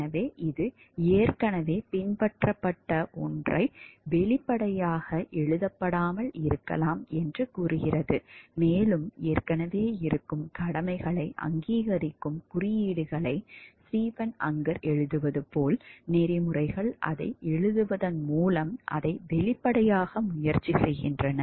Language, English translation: Tamil, So, it may not be explicitly written something which is already followed and the codes of ethics tries to make it explicit by writing it down as Stephen Unger writes codes recognize obligations that already exist